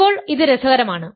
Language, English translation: Malayalam, Now this is interesting